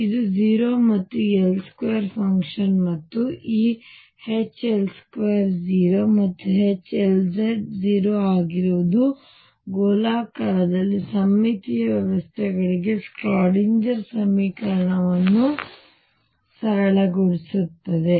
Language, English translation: Kannada, This is greater than or equal to 0 and L square and L z have common Eigenfunctions that we have already decided and this H L square being 0 and H L z being 0 simplifies the Schrodinger equation for spherically symmetric systems